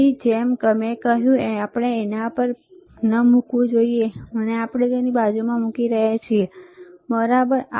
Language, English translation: Gujarati, So, like I said, we should not place on it we are placing it next to it, all right